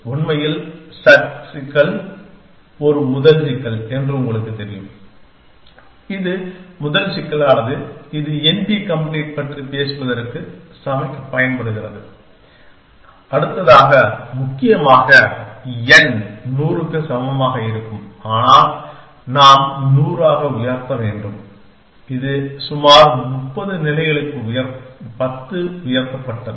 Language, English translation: Tamil, In fact, you know that sat problem was a first problem which was a first problem which was used by cook to talk about n p complete next essentially where n is equal to 100 we have 2 raise to 100 which is about 10 raised to 30 states